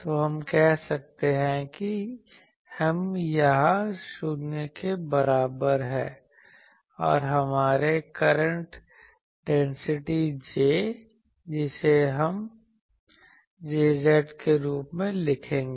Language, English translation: Hindi, So, we can say that M is equal to 0 here, and our current density J that we will write as J z